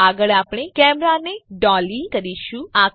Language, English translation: Gujarati, Next we shall dolly the camera